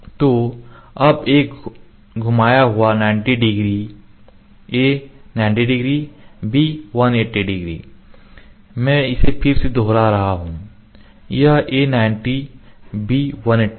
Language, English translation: Hindi, So, now, a rotated 90 degree a 90 degree b 180 let me repeat this is a 90 b 180